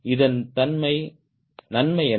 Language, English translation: Tamil, what is the advantage of it